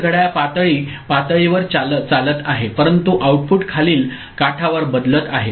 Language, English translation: Marathi, So, the clock is level triggered, but the output is changing at the following edge ok